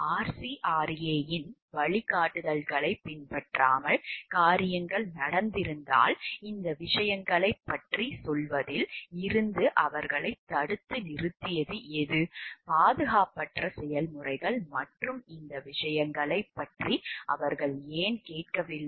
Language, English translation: Tamil, If things were done in a not following the guidelines of RCRA what stopped them from like telling about these things, why did not they like sound about like the unsafe processes and these things